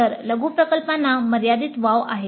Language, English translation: Marathi, So, the mini project has a limited scope